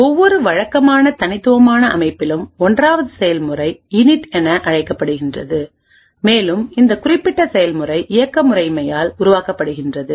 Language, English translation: Tamil, The 1st process in every typical unique system is known as Init and this particular process is created by the operating system